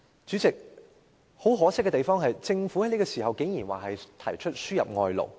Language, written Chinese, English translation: Cantonese, 主席，很可惜的是，政府此時竟然提出輸入外勞。, Regrettably President the Government surprisingly proposes importation of labour at this juncture